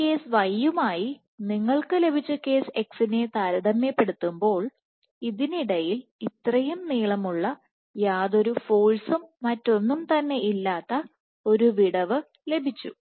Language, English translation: Malayalam, So, let me draw another case, compared to this case y for case x you got this long gap extension in between, with almost 0 forces and nothing else